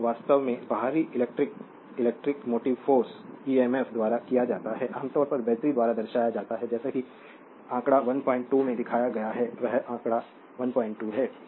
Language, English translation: Hindi, So, this is actually external electromotive force emf, typically represent by the battery figure 1